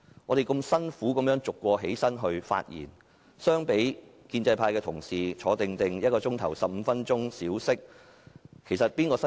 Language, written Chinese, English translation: Cantonese, 我們辛辛苦苦逐一站起來發言，相比建制派同事安坐1小時、小息15分鐘，究竟誰比較辛苦？, While we make efforts to rise and speak one after another colleagues of the pro - establishment camp simply sit back and relax in their seats for an hour or then enjoy a short break of 15 minutes . Who do you think has a more difficult time?